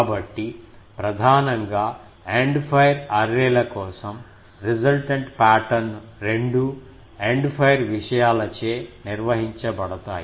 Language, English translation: Telugu, So, mainly for End fire arrays, the resultant pattern is both governed by the End fire things